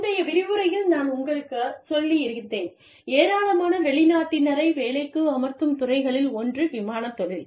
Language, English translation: Tamil, I think, in a previous lecture, i had told you, that one of the areas, one of the fields, in which, we employ a large number of foreign nationals, is the airline industry